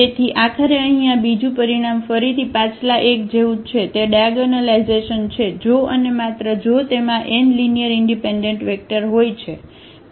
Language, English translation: Gujarati, So, eventually this second result here is again the same as this previous one; that is diagonalizable, if and only if it has n linearly independent vectors